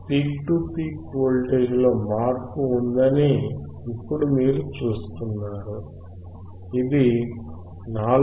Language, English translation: Telugu, Now you see there is a change in the peak to peak voltage it is 4